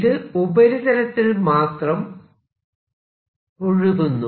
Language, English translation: Malayalam, so this is only on the surface